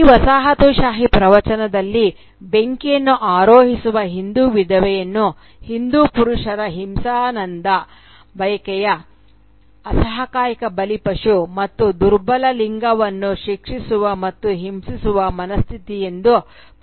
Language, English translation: Kannada, And the Hindu widow who mounts the fire is presented in this colonial discourse as the helpless victim of Hindu males' sadistic desire to punish and torture the weaker sex